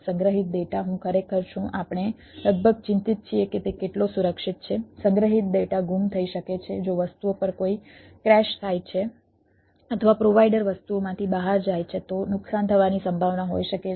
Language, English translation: Gujarati, stored data: i am really we are nearly concerned about whether how securities, stored data, can be lost if there is a crash on the things or the provider goes out of the things